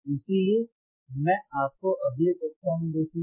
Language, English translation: Hindi, So, with that, I will see you in the next class